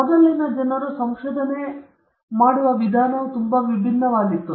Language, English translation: Kannada, Earlier also people used to conduct research, but the way they use to conduct it was very different